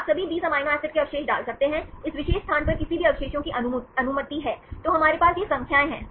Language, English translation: Hindi, You can put all the 20 amino acid residues, any residue is allowed at this particular position, then we have these numbers